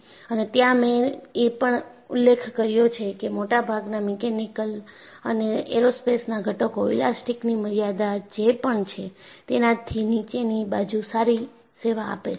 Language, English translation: Gujarati, And I have also mentioned, most of the mechanical and aerospace components serve well below the elastic limit